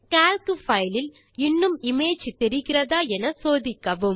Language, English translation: Tamil, Check if the image is visible in the Calc file